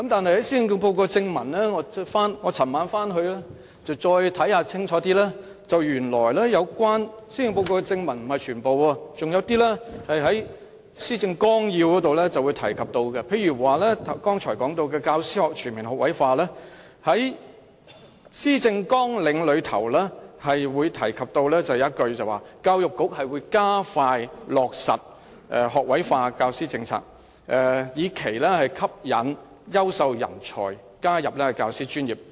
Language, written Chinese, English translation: Cantonese, 但是，我昨夜回去再仔細閱讀施政報告，原來有些建議是在施政報告正文以外，在施政綱領中提及，例如關於剛才提到的教師全面學位化，在施政綱領中提到："教育局會加快落實學位化教師政策，以期吸引優秀人才加入教師專業"。, However after studying the Policy Address more closely last night I have come to see that some policy proposals are actually discussed in the policy agenda outside the main text of the Policy Address . One example is the proposal of introducing an all - graduate teaching force . The policy agenda says The Education Bureau will expedite the implementation of the policy on an all - graduate teaching force to attract more talent to join the teaching profession